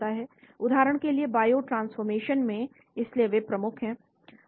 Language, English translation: Hindi, for example in biotransformation, so those are the key